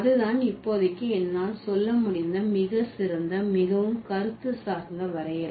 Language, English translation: Tamil, So, that's the finest and then the most conceptual definition that I could give for the moment